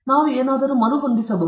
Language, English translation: Kannada, Can we rearrange something